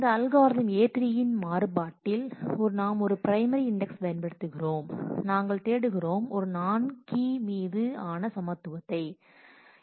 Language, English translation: Tamil, In a variant of this algorithm A3 we may be using a primary index, but we are looking for equality on a non key